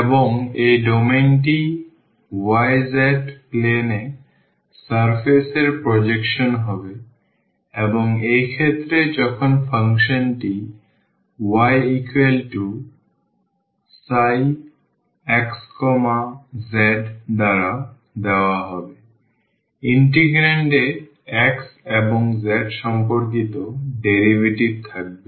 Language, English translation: Bengali, And, this domain will be the projection of the surface in the y z plane and in the case when the function is given by y is equal to psi x z; the integrand will have the derivatives with respect to x and z